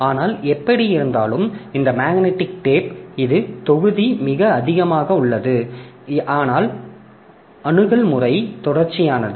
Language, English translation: Tamil, But anyway, the idea is that this magnetic tape this is the volume is very high but the access pattern is sequential